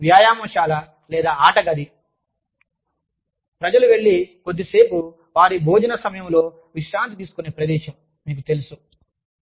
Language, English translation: Telugu, Possibly, even a gym, or, a game room, where people can go and relax, for a little while, you know, during their lunch hour